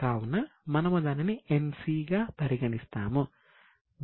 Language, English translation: Telugu, So, we will put it as NC